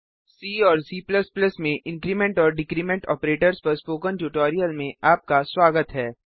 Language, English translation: Hindi, Welcome to the spoken tutorial on Increment and Decrement Operators in C and C++